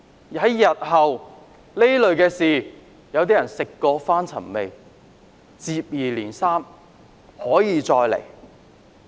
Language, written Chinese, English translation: Cantonese, 日後遇到同類事情，有些人食髓知味，接二連三地用同樣手法。, When there are similar incidents in the future some people will once again resort to this tactic